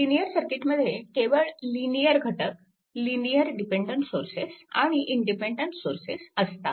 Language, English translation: Marathi, So, a linear circuit consist only linear elements; so, linear dependent sources and independent source